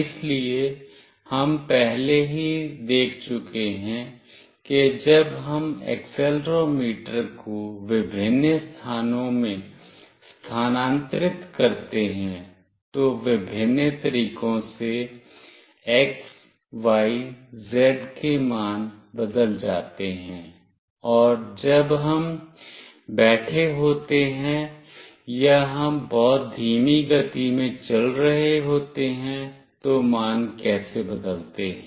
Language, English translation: Hindi, So, we have already seen that when we move the accelerometer in various position, in various ways, the x, y, z value changes and when we are sitting or we are moving in a very slow position, how the value changes